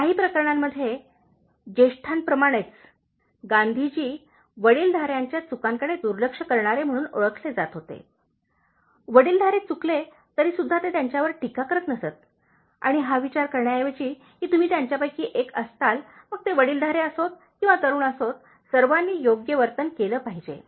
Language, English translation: Marathi, In certain cases, like elders for example, Gandhiji was known for being blind to the fault of elders, so he never criticized elders even if they were wrong, instead of thinking that you will have one of with them and then, whether they are elders or young people all should be behaving correctly